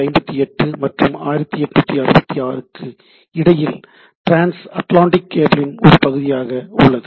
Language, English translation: Tamil, Then between somewhere between 58 and 1858 and 66 so, transatlantic there is a part of trans atlantic cable